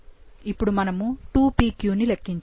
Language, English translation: Telugu, Now, we need to calculate 2pq